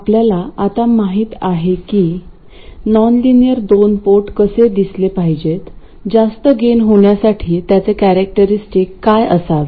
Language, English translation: Marathi, We now know what a nonlinear 2 port must look like, that is what its characteristics must be in order to have a high gain